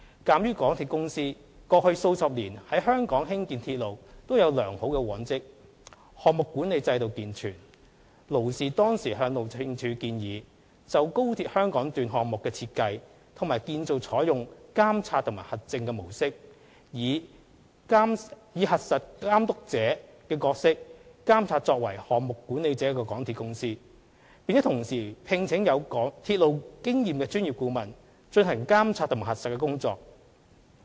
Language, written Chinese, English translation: Cantonese, 鑒於港鐵公司過去數十年在香港興建鐵路均有良好往績，項目管理制度健全，勞氏當時向路政署建議，就高鐵香港段項目的設計和建造採用"監察和核證"的模式，以"核實監督者"的角色監察作為"項目管理者"的港鐵公司，並同時聘請有鐵路經驗的專業顧問，進行監察和核實的工作。, In view of the good reputation of MTRCL in railway construction in Hong Kong over the decades and its healthy project management system the consultant recommended at the time to HyD that the Government may adopt the Monitoring and Verification role in the design and construction of XRL the Check the Checker role to monitor the project manager MTRCL and engage its own professional consultants with railway experience to conduct monitoring and verification work